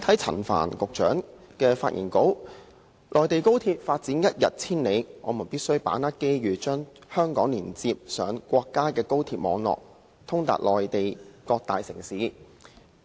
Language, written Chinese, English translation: Cantonese, 陳帆局長的發言稿提到，"內地高鐵發展一日千里，我們有必要把握機遇......將香港聯通國家高鐵網絡......通達內地各大城市"。, In his speech Secretary Frank CHAN says Given the rapid development of high - speed rail on the Mainland we must grasp the opportunity and connect Hong Kong to the national high - speed rail network for speedy access to various major cities on the Mainland